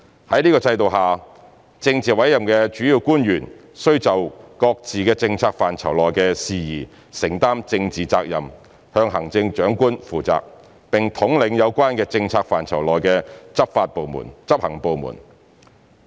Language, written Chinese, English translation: Cantonese, 在這制度下，政治委任的主要官員須就各自政策範疇內的事宜承擔政治責任，向行政長官負責，並統領有關政策範疇內的執行部門。, Under this system politically appointed principal officials are required to take the political responsibility for matters within their own purviews; they are accountable to the Chief Executive and to lead the executive departments in charge of the relevant policy areas